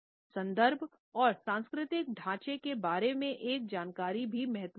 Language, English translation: Hindi, Awareness about context and cultural frameworks is equally important